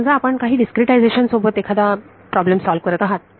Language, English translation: Marathi, Supposing you solve a problem with a certain discretization